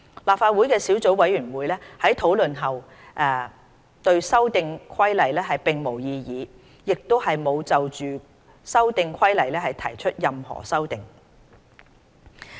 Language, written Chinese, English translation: Cantonese, 立法會的小組委員會在討論後對《修訂規例》並無異議，亦沒有就《修訂規例》提出任何修訂。, The Subcommittee of the Legislative Council raised no objection to the Amendment Regulation after discussion and had not proposed any amendment to it